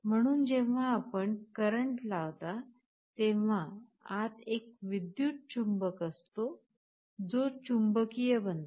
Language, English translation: Marathi, So, when you apply a current there is an electromagnet inside, which gets magnetized